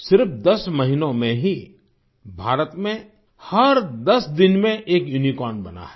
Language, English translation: Hindi, In just 10 months, a unicorn is being raised in India every 10 days